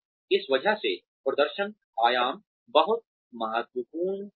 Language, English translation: Hindi, Because of this, performance dimensions are very important